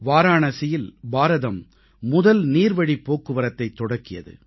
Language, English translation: Tamil, India's first inland waterway was launched in Varanasi